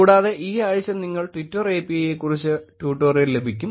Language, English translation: Malayalam, Also, this week you will have tutorial about Twitter API